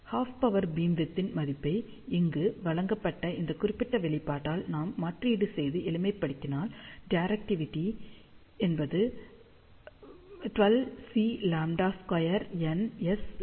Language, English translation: Tamil, So, if we substitute the value of half power beamwidth, which is given by this particular expression over here, this thing get simplified to 12 C lambda square times n times S lambda